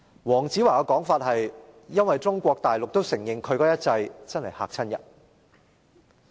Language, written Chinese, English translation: Cantonese, 黃子華的說法是因為"中國大陸也承認其一制真的很嚇人"。, In the words of Dayo WONG The Mainland also acknowledges that its one system is very scary